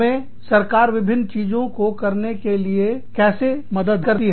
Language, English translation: Hindi, How does the government help us, do various things